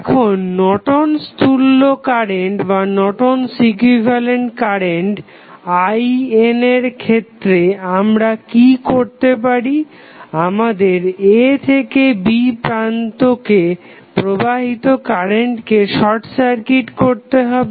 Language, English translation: Bengali, And for the Norton's equivalent current I n what we have to do, we have to short circuit the current flowing from Terminal A to B